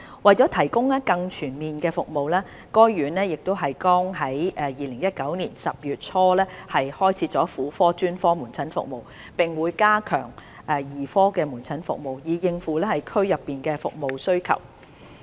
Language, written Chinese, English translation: Cantonese, 為了提供更全面的服務，該院剛於2019年10月初開設婦科專科門診服務，並會加強兒科門診服務，以應付區內服務需求。, To provide more comprehensive services NLH has commenced gynaecology specialist outpatient service in early October 2019 and will enhance paediatric outpatient service in order to meet the local service demand